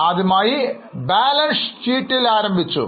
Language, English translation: Malayalam, We started with balance sheet